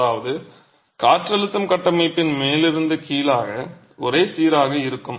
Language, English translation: Tamil, That is wind pressure is uniform from the top to the bottom of the structure